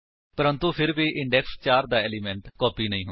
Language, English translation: Punjabi, But, even then the element at index 4 has not been copied